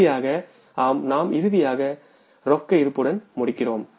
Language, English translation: Tamil, And finally, we have to come up with the closing cash balance